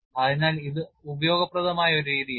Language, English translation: Malayalam, So, it is a useful methodology